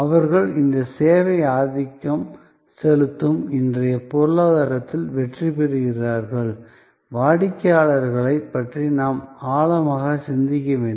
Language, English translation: Tamil, And therefore, they succeed in this service dominated economy of today; we have to think deeper about customers